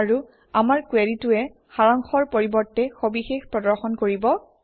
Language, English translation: Assamese, And our query will return details and not summaries